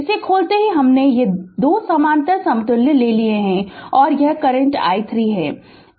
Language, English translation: Hindi, As soon as you open it, these 2 parallel equivalent we have taken and this is the current I 3